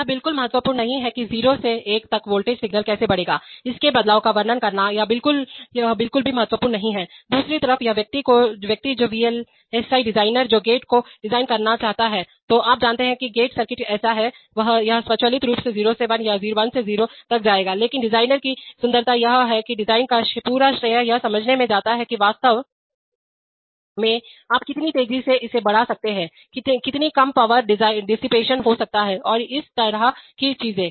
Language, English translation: Hindi, It is not important at all to describe the transitions of how exactly the voltage signal will rise from 0 to 1, that is not important at all, on the other hand the person who, the, look at the VLSI designer who wants to design the gate, so you know the gate circuit is such there it will automatically go from 0 to 1 or 1 to 0 but the beauty of design or the or the whole credit of design goes into understanding that how exactly, how fast you can make it rise, how much less power can be dissipated and things like that